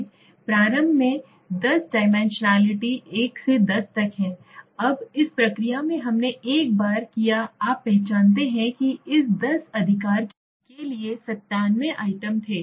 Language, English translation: Hindi, Initially there are 10 dimensions 1, 2, 3, 4, 5, 6, 7, 8, 9, 10, now in the process that we did once you identify there were 97 items for this 10 right